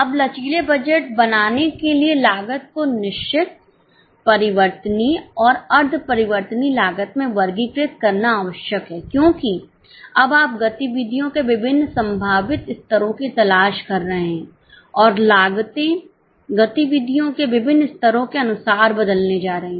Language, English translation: Hindi, Now, for making flexible budget, it is necessary to classify the costs into fixed variable and semi variable because now you are looking for different possible levels of activities and the costs are going to change as per different levels of activities